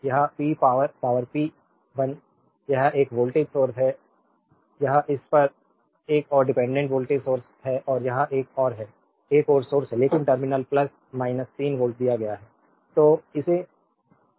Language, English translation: Hindi, That p power, power p 1 this is a voltage source right this at this is another dependent voltage source and this is another, another source is there, but the terminal plus minus 3 voltage given